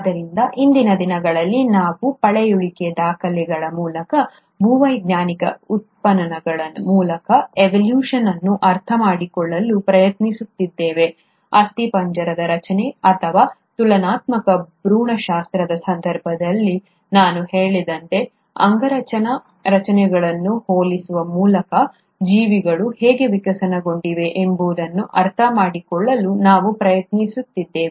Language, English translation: Kannada, So in present day, we tried to understand evolution through fossil records, through geological excavations; we also tried to understand how the organisms would have evolved by comparing the anatomical structures, as I mentioned, in case of skeletal formation or comparative embryology